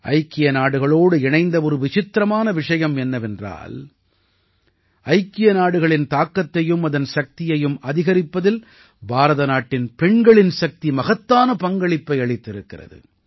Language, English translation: Tamil, A unique feature related to the United Nations is that the woman power of India has played a large role in increasing the influence and strength of the United Nations